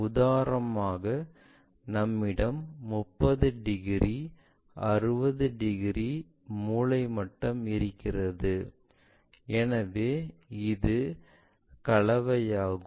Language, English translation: Tamil, For example, if we are having a 30 degrees 60 degrees set square